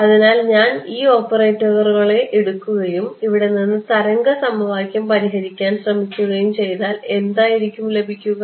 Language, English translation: Malayalam, So, if I use if I take these operators and get try to solve wave equation from here do you think the form of the solution